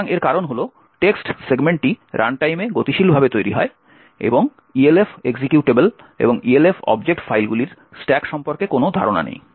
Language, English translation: Bengali, So this is because the text segment is created dynamically at runtime and the Elf executable and the Elf object files do not have any notion about stack